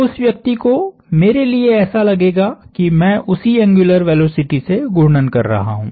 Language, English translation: Hindi, For that person, I would look like I am rotating at that same angular velocity